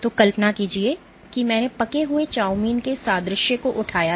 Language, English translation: Hindi, So, imagine I had raised this analogy of cooked chowmein right